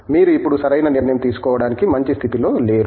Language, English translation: Telugu, You are not really in a good position to take the decision now okay